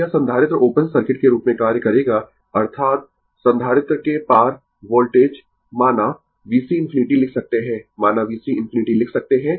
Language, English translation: Hindi, So, this capacitor will act as open circuit right; that means, that means voltage across the capacitor say, we can write V C infinity right; say we can write V C infinity